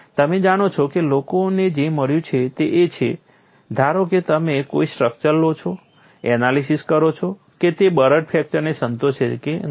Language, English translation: Gujarati, You know what people have found is suppose you take a structure, analyze whether it satisfies brittle fracture